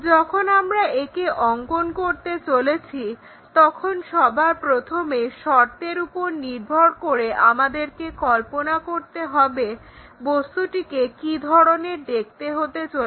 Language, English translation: Bengali, So, when we are constructing this first of all based on the conditions, we have to visualize how the object might be looking